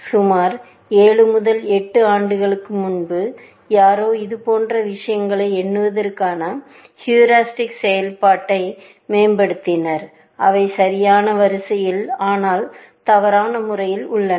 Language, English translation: Tamil, About 7 to 8 years ago, somebody enhanced the heuristic function to count for such things, that they are in the correct row, but in the wrong order